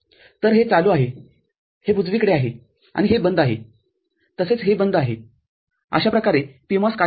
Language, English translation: Marathi, So, this is on, this is on right and this is off as well as this off it is how the PMOS will work